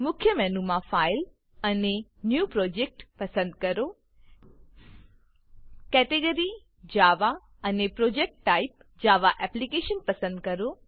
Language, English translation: Gujarati, From the main menu, choose File and New Project Choose the Java category and the Java Application project type